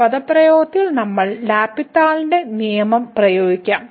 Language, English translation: Malayalam, So, let us apply the L’Hospital’s rule to this expression